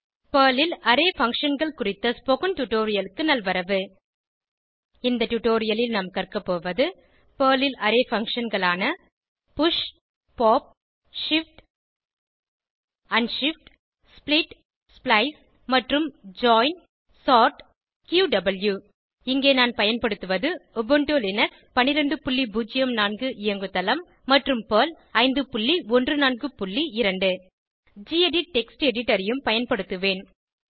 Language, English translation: Tamil, Welcome to the spoken tutorial on Array Functions in Perl In this tutorial, we will learn about Array functions in Perl, like 00:00:11 00:00:10 push pop shift unshift split splice and join sort qw I am using Ubuntu Linux12.04 operating system and Perl 5.14.2 I will also be using the gedit Text Editor